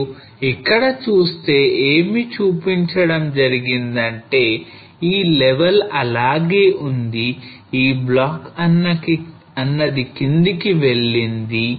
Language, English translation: Telugu, So if you look at this what has been shown here that this level has remained as it is whereas this block moves down